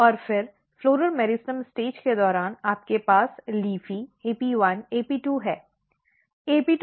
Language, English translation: Hindi, And then during floral meristem stage you have LEAFY AP1, AP2